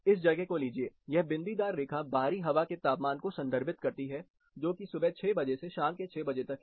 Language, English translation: Hindi, Take this location, this dotted line represents the outside air temperature which starts from 6 o'clock, this is evening 6, this is a 12 hour graph